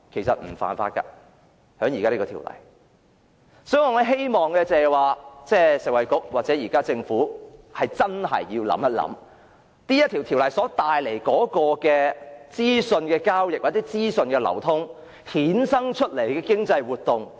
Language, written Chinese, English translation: Cantonese, 所以，我希望食物及衞生局或政府想清楚應如何處理《條例草案》下資訊交易或資訊流通所衍生出的經濟活動。, Therefore I hope that the Food and Health Bureau or the Government can think carefully about how to deal with those commercial activities arising from the trading or free flow of information under the Bill